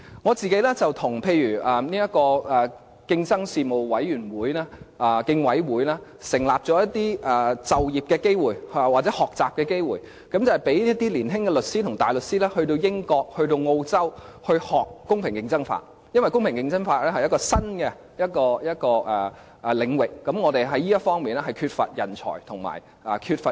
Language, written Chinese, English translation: Cantonese, 我個人與競爭事務委員會創造了一些就業機會或學習機會，讓年青的律師和大律師到英國、澳洲學習公平競爭法，因為公平競爭法是新領域，而香港在這方面缺乏人才和經驗。, I myself have joined hands with the Competition Commission Commission in creating some job opportunities or learning opportunities so that more young solicitors and barristers are sent to the United Kingdom and Australia to study competition law a new field in which Hong Kong lacks talents and experience